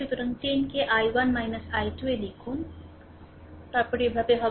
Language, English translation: Bengali, So, 10 into i 1 minus i 2, then you are moving like this